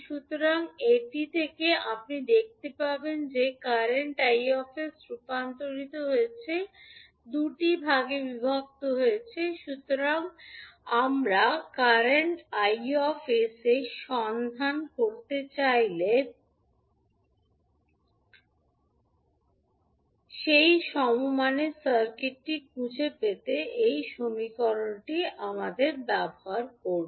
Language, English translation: Bengali, Now, if you see this equation so from this you can see that current i s is converted, is divided into two parts so we will use that equation to find out the equivalent circuit in case of we want to find out current i s